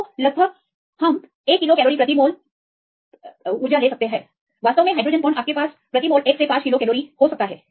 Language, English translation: Hindi, So, approximately we can put 1 kilo cal per mole actually hydrogen bonds you can have 1 to 5 kilo cal per mole